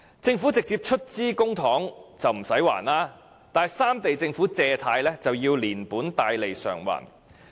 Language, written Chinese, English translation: Cantonese, 政府直接出資的公帑不用償還，但三地政府的借貸卻要連本帶利償還。, Public money coming directly from the governments does not need to be repaid but loans raised by the governments of the three regions need to be repaid with interests